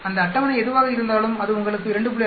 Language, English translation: Tamil, Whatever that table is giving so it will give you 2